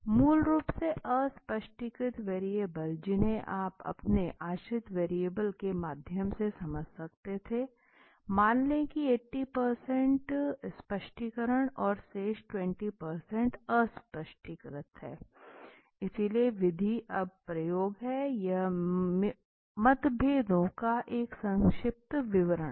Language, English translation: Hindi, Basically the unexplained variables you could have explained through your independent variables let say 80% of the explanation and the rest 20% is the unexplained okay, so the method is experiments now this is a brief description of the differences